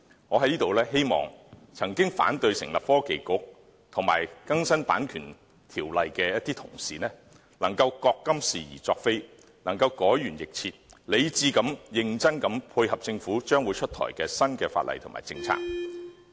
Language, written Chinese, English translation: Cantonese, 我在這裏希望曾經反對成立創新及科技局及更新《版權條例》的同事能夠覺今是而昨非，改弦易轍，理智和認真地配合政府將會出台的新法例和政策。, Here I hope Honourable colleagues who opposed the establishment of the Bureau and updating CO can realize that they were wrong and change their mind and that they will support the Government in introducing new legislation and policies